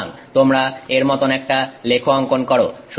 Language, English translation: Bengali, So, you make a plot like this